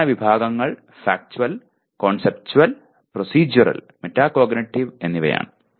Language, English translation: Malayalam, And Knowledge Categories are Factual, Conceptual, Procedural, and Metacognitive